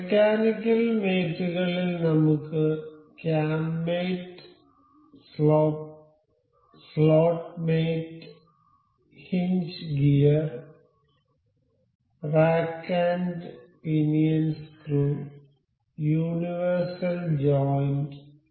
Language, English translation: Malayalam, In the mechanical mates we can see here the cam mate, slot mate, hinge gear, rack and pinion screw and universal joint